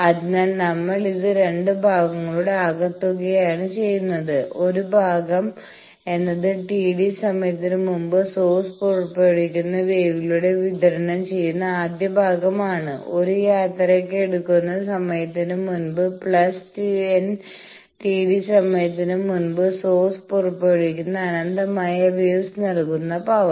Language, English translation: Malayalam, So, that is why we are making it as sum of two parts; one part is the first part power delivered by the wave emitted by source at T d time back, just one journey time back plus power delivered by infinite number of waves emitted by source at n T d time back